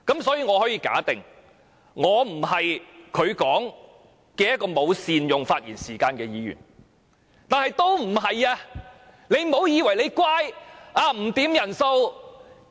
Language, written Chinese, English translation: Cantonese, 所以，我可以假定我不是他所說的沒有善用發言時間的議員。, Hence I suppose I am not those Members who failed to make good use of our speaking time as he referred